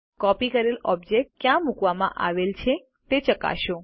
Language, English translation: Gujarati, Check where the copied object is placed